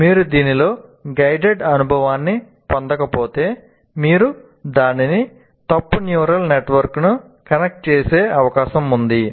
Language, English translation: Telugu, But if you do not go through a guided experience in this, there is a possibility that you connect it to the wrong network, let's say, neural network